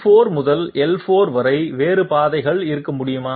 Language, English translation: Tamil, Can you have other paths from L4 to L5